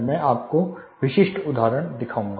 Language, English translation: Hindi, I am going to show you some examples